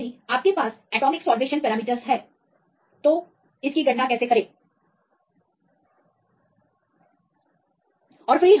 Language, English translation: Hindi, So, now, how to get these numbers right if you have this atomic salvation parameters